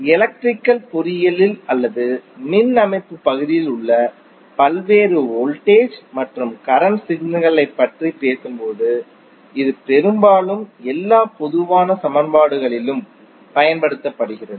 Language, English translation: Tamil, It is mostly used in almost all common equations when we talk about the various voltage and current signals in the electrical engineering or in the power system area